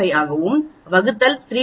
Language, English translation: Tamil, 5 and the denominator is 3